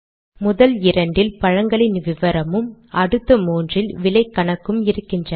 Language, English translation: Tamil, The first two have the title fruit details, the next three have the title cost calculations